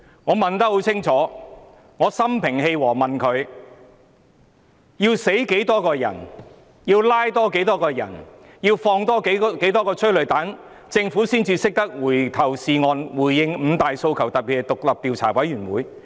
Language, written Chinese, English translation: Cantonese, 我問得很清楚，我心平氣和地問他，要死多少人、要拘捕多少人、要再施放多少枚催淚彈，政府才懂得回頭是岸，回應五大訴求，特別是成立獨立調查委員會？, My question is very clear . I asked him calmly how many people have to die how many people have to be arrested how many tear gas rounds have to be fired before the Government repents its fault and respond to the five demands in particular the forming of an independent commission of inquiry?